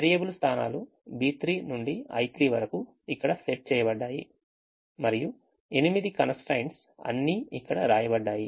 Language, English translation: Telugu, the variable position happen to be b three, i three, which are set here, and the eight constraints are all ready, written here